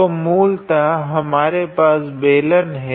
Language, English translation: Hindi, So, basically we have a cylinder